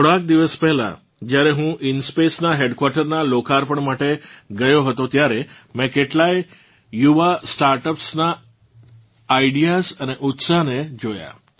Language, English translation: Gujarati, A few days ago when I had gone to dedicate to the people the headquarters of InSpace, I saw the ideas and enthusiasm of many young startups